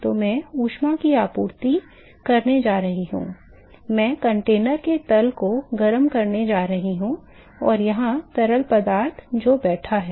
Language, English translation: Hindi, So, I am going to supply heat, I am going to heat the bottom of the container, and have fluid which is sitting here ok